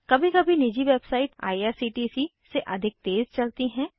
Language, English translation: Hindi, Sometimes private websites are faster than irctc